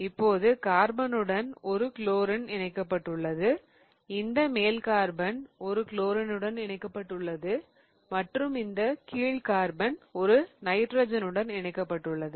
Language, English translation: Tamil, Now, you have a carbon attached to a chlorine, this top carbon is attached to a chlorine and this bottom carbon is attached to a nitrogen